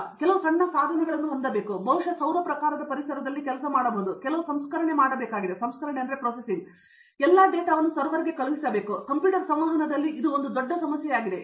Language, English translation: Kannada, So, I need to have some very small devices, which can work probably in a solar type of environment and I need to do some processing, then after that I need to send that data to a server somewhere, that is a problem in computer communication so that is a big problem in communication